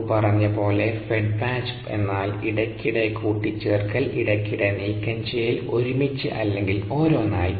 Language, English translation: Malayalam, as you recall, fed batch is nothing but intermittent condition, intermittent removal together or one at a time